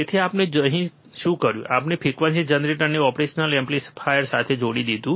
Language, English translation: Gujarati, So, what we have done here is, we have connected the frequency generator to the operational amplifier